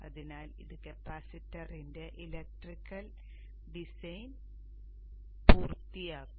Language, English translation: Malayalam, So this would complete the electrical design of the capacitance